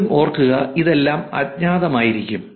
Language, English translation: Malayalam, Again please remember all of this is going to be anonymous